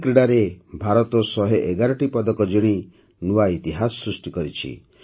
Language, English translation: Odia, India has created a new history by winning 111 medals in these games